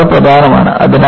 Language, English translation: Malayalam, It is very important